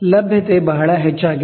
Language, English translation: Kannada, The availability is pretty high